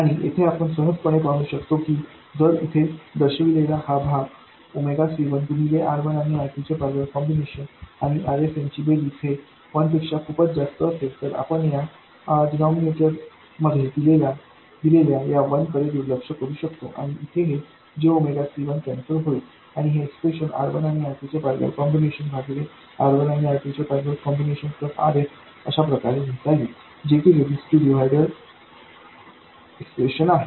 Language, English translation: Marathi, And here we can very easily see that if this part here, if Omega C1 times R1 parallel R2 plus RS is much more than 1, then we can simply neglect this 1 in the denominator and this jmega c1 will cancel out and this expression will reduce to this r1 parallel R2 divided by R1 parallel R2 plus RS which is the resistive divider expression